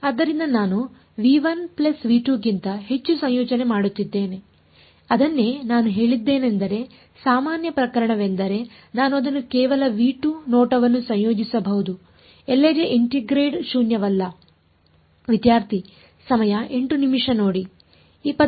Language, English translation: Kannada, So, I am integrating over v 1 plus v 2 that is what I said the most general case can I make it just v 2 look at the integrand is the is the integrand non zero everywhere